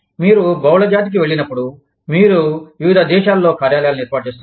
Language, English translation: Telugu, When you go multinational, you set up offices, in different countries